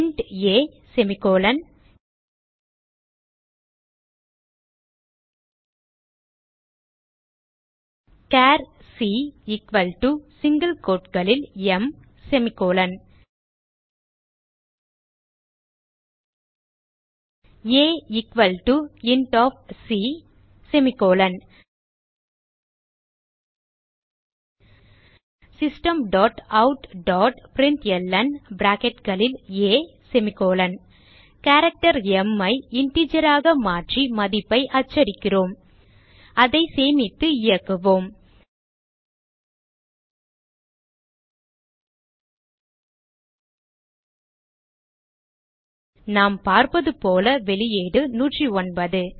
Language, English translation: Tamil, int a, char c equal to in single quotes m a equal to c System dot out dot println We are converting the character m to an integer and printing the value Let us save and run it As we can see, the output is 109 which the ascii value of m